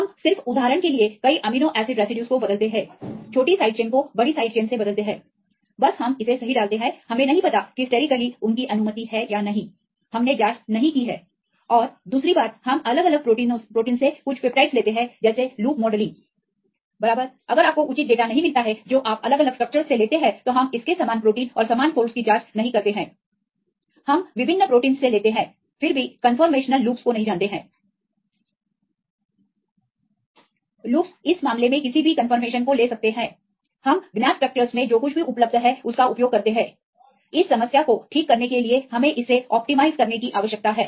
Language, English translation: Hindi, We just replace several amino acid residues for example, large side chains for small once alanine to valine right just we put it right whether they are sterically allowed or not that we do not know; we have not checked and the second one we take the some peptides from different different proteins like loop modelling right if you do not get the proper data you take from different different structures we do not check with this the similar proteins and the similar folds we take from different proteins then also we do not know the conformational loops; loops can take any confirmation right in this case we use whatever available in known structures, how to rectify this problem right we need to optimize it